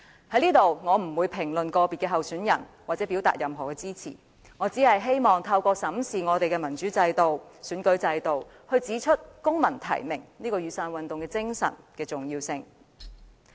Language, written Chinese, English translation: Cantonese, 我不會在這裏評論個別參選人或對任何人表達支持，我只希望透過審視民主制度和選舉制度，指出公民提名——即雨傘運動的精神——的重要性。, I will not make any comment on individual aspirants or express support to any of them here . I only wish to point out the importance of civil nomination―which is the spirit of the Umbrella Movement―through examining the democratic system and electoral system